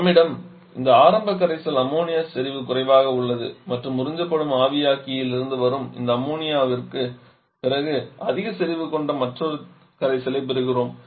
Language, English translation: Tamil, So, initial solution that we had that is low in Ammonia concentration and after this Ammonia coming from the evaporator that gets absorbed we get another solution with which is having higher concentration